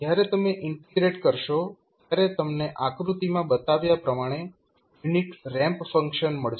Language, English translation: Gujarati, When you integrate you will get a unit ramp function as shown in the figure